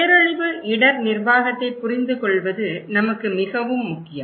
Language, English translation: Tamil, That is very important for us to understand the disaster risk management